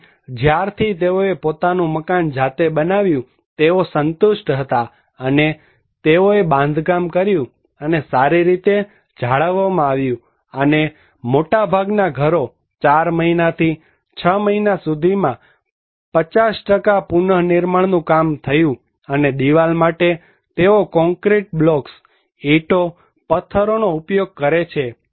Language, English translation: Gujarati, Here was it was since they built their own house, they were satisfied and they constructed and it is well maintained and most of the houses by 4 months to 6 months, a 50% reconstruction took place and for the wall, they use concrete blocks, bricks, stone